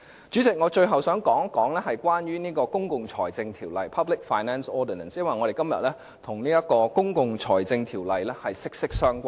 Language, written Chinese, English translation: Cantonese, 主席，我最後想談一談《公共財政條例》，因為我們今天討論的議題，跟《公共財政條例》息息相關。, Lastly President I would like to say a few words about the Public Finance Ordinance PFO because the question under discussion today is inextricably linked with PFO